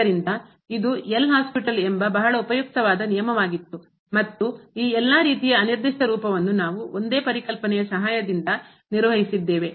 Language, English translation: Kannada, So, that was a very useful rule L’Hospital and we have handled with the help of the single concept all these types of indeterminate form